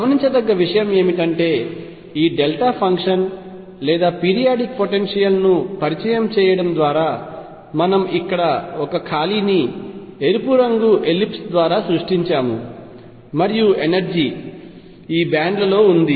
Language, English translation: Telugu, What is noticeable is that by introducing this delta function or periodic potential we have created a gap here which I am showing by this red ellipse and energy is lie in these bands